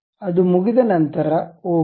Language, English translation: Kannada, Once it is done, ok